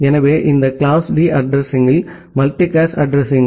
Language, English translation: Tamil, So, this class D addresses are multicast addresses